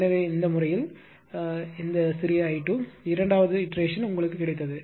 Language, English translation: Tamil, So, these way small i 2 and second iteration you got